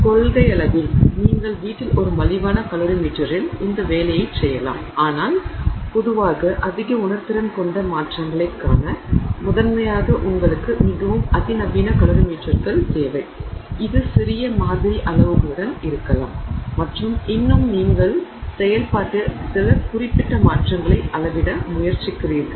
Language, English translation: Tamil, So, in principle you can do this job with essentially an inexpensive calorie meter at home but in general you need much more sophisticated calorimeters primarily with it to look at you know highly sensitive changes which may be with small sample sizes and still you are trying to measure some specific changes in the process so this is the idea of a calorie meter and whatever is inside this container, whatever is inside this insulated container is considered as the system